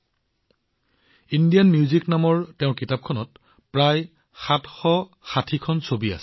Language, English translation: Assamese, There are about 760 pictures in his book named Indian Music